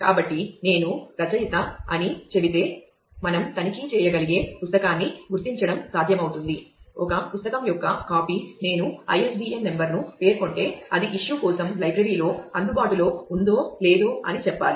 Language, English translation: Telugu, So, if I say the author it should be possible to locate a book we should able to check, if a copy of a book if I specify the ISBN number, then whether it is available with the library for issue